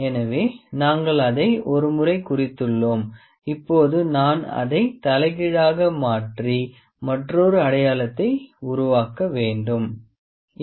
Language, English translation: Tamil, So, we have marked it once, now I can turn it upside down and make another mark